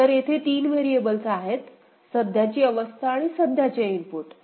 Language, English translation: Marathi, So, 3 variables are there the current state and the current input right